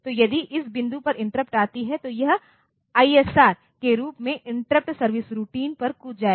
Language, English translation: Hindi, So, it will be jumping over to the ISR the corresponding interrupt service routine